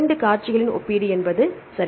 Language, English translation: Tamil, Comparison of 2 sequences right